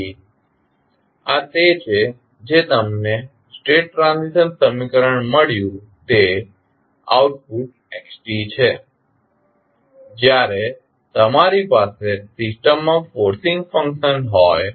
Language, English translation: Gujarati, So, this is what you got the state transition equation that is the output xt when you have forcing function present in the system